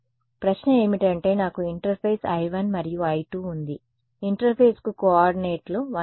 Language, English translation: Telugu, So, the question is I have interface I 1 and interface I 2 I 2 has coordinates 1 s y 1 right